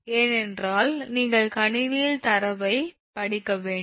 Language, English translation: Tamil, we have to read this data in the computer